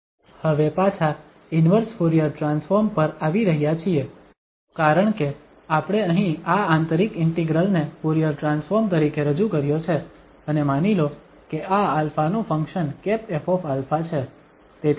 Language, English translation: Gujarati, Now coming back to the inverse Fourier transform because we have introduced here this inner integral as the Fourier transform and suppose this is a function of alpha f hat alpha